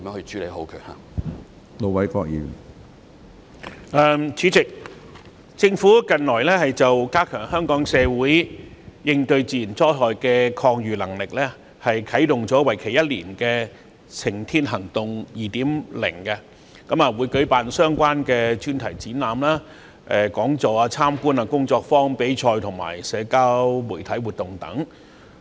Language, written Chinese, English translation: Cantonese, 主席，政府近來為加強香港社會應對自然災害的抗禦能力，啟動了為期一年的"晴天行動 2.0"， 並會舉辦相關的專題展覽、講座、參觀、工作坊、比賽和社交媒體活動等。, President the Government has recently kick - started the year - long campaign Safer Living 2.0 to raise community resilience to natural disasters in Hong Kong by organizing thematic exhibitions seminars tours workshops competitions and social media activities